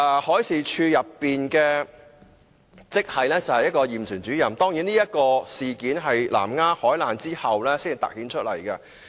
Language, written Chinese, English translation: Cantonese, 海事處驗船主任職系的人手不足問題，當然是在南丫海難後才凸顯出來。, The manpower shortage of the grade of surveyors in MD was accentuated only after the Lamma Island maritime disaster